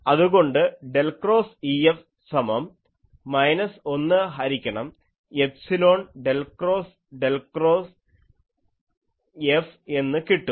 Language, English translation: Malayalam, So, definitely now I can express E F as minus 1 by epsilon del cross F